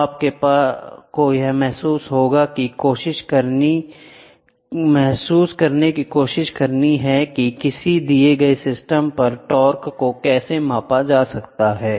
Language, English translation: Hindi, So, this will try to give you a feel how to measure the torque on a given system